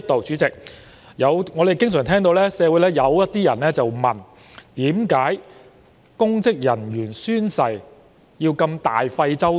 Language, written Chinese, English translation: Cantonese, 主席，我們經常聽到社會上有些人問：為何公職人員宣誓要這麼大費周章？, President we have often heard some members of the community ask Why must such a lot of efforts be made for public officers oath - taking?